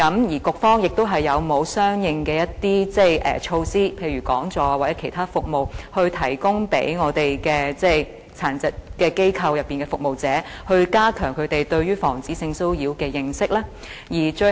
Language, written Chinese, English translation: Cantonese, 而局方有否相應的措施，例如講座或其他服務，以加強殘疾人士服務機構的服務者對防止性騷擾的認識呢？, And will the Bureau put in place corresponding measures such as conducting seminars or providing other services to promote awareness of prevention of sexual harassment among the staff of service providers for persons with disabilities?